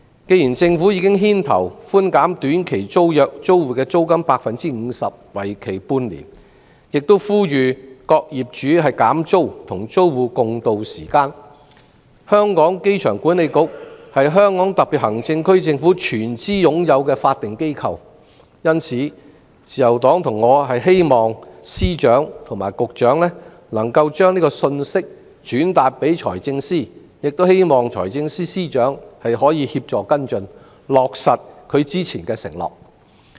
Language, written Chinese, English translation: Cantonese, 既然政府已牽頭寬減短期租約租戶 50% 的租金，為期半年，又呼籲各業主減租，與租戶共渡時艱，機管局亦是香港特別行政區政府全資擁有的法定機構，自由黨和我因此希望司長及局長能夠將這個信息轉達財政司司長，亦希望財政司司長可協助跟進，落實他之前的承諾。, The Government has taken the lead to reduce the rents of short - term tenancy tenants by half for six months and call upon landlords to reduce the rent to tide over the difficulties with tenants . Given that AA is a statutory organization wholly owned by the Hong Kong SAR Government the Liberal Party and I hope that the Secretary of Department and Director of Bureau relay this message to the Financial Secretary and we also hope that the Financial Secretary will follow up and honour his promises made previously